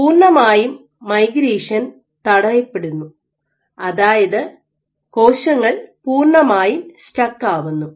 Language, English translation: Malayalam, So, there is complete migration arrest mean that cells are completely stuck